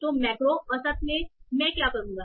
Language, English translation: Hindi, So in macro average, what I will do